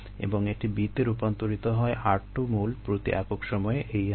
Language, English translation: Bengali, and it gets converted to b at the r two, moles per time